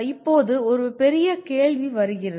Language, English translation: Tamil, Now here comes the bigger question